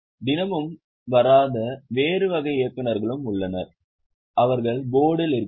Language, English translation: Tamil, There are also other type of directors who do not come every day